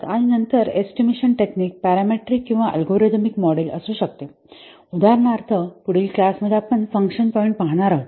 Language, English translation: Marathi, And then the estimation techniques can be parametric or algorithm models for example, function points that will see in the next class